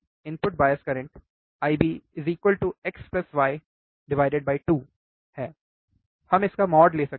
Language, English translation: Hindi, Input bias current is I B equals to x plus y by 2, we can write mod, right